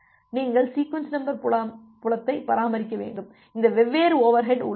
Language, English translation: Tamil, Then you have to maintain the sequence number field; all this different overheads are there